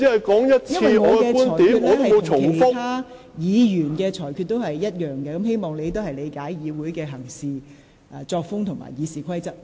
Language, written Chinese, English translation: Cantonese, 我對你的裁決與我對其他議員的裁決一致，請你理解議會的行事方式和《議事規則》。, The ruling made against you and other Members are consistent so please understand the practices of this Council and RoP